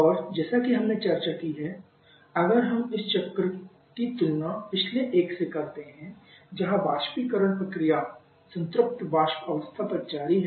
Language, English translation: Hindi, And as discussed we compare this cycle with the previous one who are the evaporation is continuing